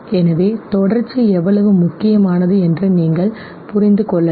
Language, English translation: Tamil, So you can understand okay, how important contiguity is